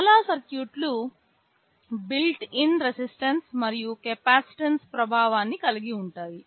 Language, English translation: Telugu, Most of the circuits have a built in resistance and capacitance effect inside it